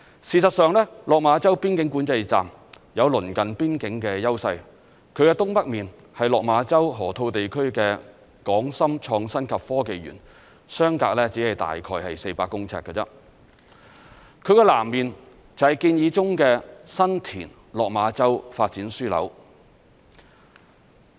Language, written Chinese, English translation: Cantonese, 事實上，落馬洲邊境管制站有鄰近邊境的優勢，其東北面是落馬洲河套地區的港深創新及科技園，相隔只是大概400公尺，其南面便是建議中的新田/落馬洲發展樞紐。, As a matter of fact the Lok Ma Chau Boundary Control Point can capitalize on the advantage of its close proximity to the boundary region as the Hong Kong - Shenzhen Innovation and Technology Park HSITP at the Lok Ma Chau Loop is on its Northeast side which is only about 400 m apart; and the proposed San TinLok Ma Chau Development Node is on its South side